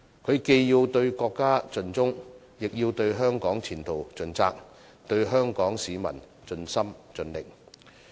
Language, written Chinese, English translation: Cantonese, 他既要對國家盡忠，亦要對香港前途盡責，對香港市民盡心盡力。, He must be loyal to the country dutiful to Hong Kongs future and dedicated to Hong Kong people